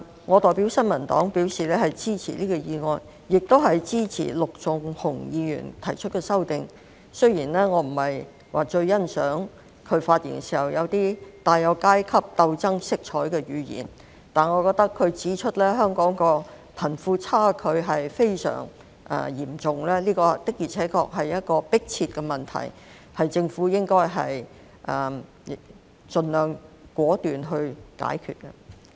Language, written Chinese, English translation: Cantonese, 我代表新民黨表示支持這項議案，亦支持陸頌雄議員提出的修正案——雖然我不太欣賞他發言中帶有階級鬥爭色彩的語言，但他指出香港貧富差距非常嚴重，這確實是一個迫切問題，政府應該盡量果斷解決。, On behalf of the New Peoples Party I express our support to this motion and also the amendment moved by Mr LUK Chung - hung―although I do not quite appreciate the class struggle rhetoric in his speech . He did however pointed out the severity of the wealth gap in Hong Kong . This surely is a very pressing problem which the Government should try its best to resolve decisively